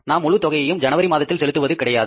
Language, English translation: Tamil, We are not going to pay that whole amount in the month of January